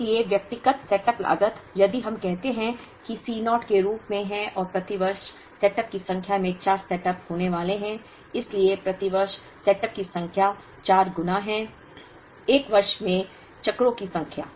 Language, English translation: Hindi, So, individual setup cost if we call that as C naught, and number of setups per year each cycle is going to have four setups, so number of setups per year is four times, the number of cycles in a year